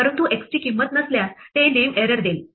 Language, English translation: Marathi, But x if it has no value it will give a name error